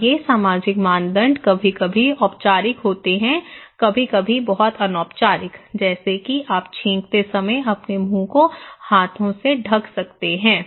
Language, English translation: Hindi, And these social norms are sometimes formal, sometimes very informal like you can put cover your hands when you were sneezing